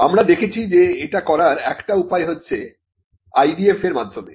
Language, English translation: Bengali, Now, we had seen one way you can do this is through an IDF